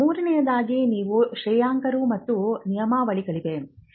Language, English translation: Kannada, Thirdly you have the regulators and the regulations